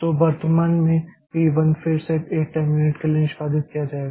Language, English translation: Hindi, Then what will happen first p 1 will be executed for 1 time unit